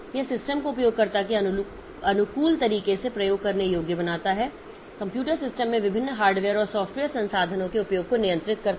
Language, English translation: Hindi, It makes the system usable in an user friendly manner, controls usage of different hardware and software resources in a computer system